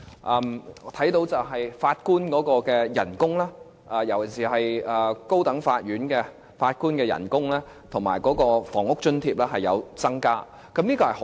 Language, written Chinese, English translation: Cantonese, 我們看到法官的薪金，特別是高等法院法官的薪金，以及房屋津貼是有增加的，這方面是好的。, We have seen that the wages for judges especially the wages for High Court judges as well as their housing allowances have increased and this is a good thing